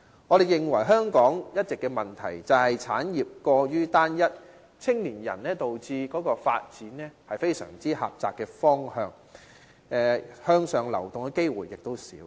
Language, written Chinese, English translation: Cantonese, 我們認為香港一直的問題就是，產業過於單一，導致青年人的發展非常狹窄，向上流動的機會少。, The lingering problem of Hong Kong in our opinion is the homogeneity of our industries which confines the development scope of the young and diminishes their chance of moving upward